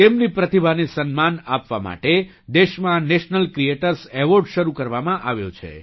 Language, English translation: Gujarati, To honour their talent, the National Creators Award has been started in the country